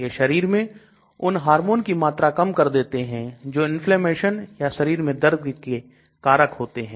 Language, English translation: Hindi, It reduces the hormones that cause inflammation and pain in the body